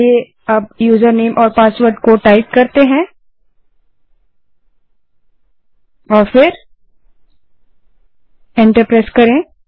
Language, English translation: Hindi, Now let us type the username and password and press enter